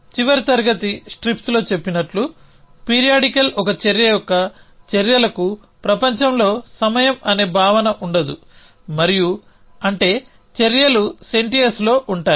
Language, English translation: Telugu, So, as we said in the last class strips actions of periodical one action have no concept of time in world at all and that is, because actions a in sententious